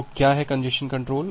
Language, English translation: Hindi, So, what is that congestion control